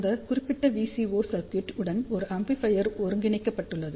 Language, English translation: Tamil, So, an amplifier has been integrated in that particular VCO circuit